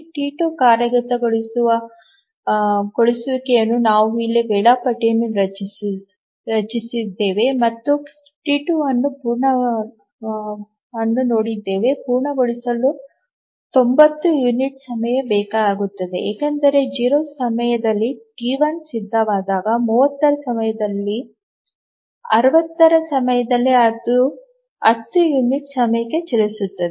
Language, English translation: Kannada, Then for T2 to complete execution, we can draw the schedule here and see that T2 needs 90 units of time to complete because whenever T1 becomes ready during 0, during 30, during 60, it will run for 10 units of time